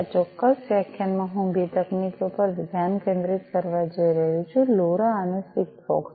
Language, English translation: Gujarati, So, in this particular lecture I am going to focus on two technologies; LoRa and SIGFOX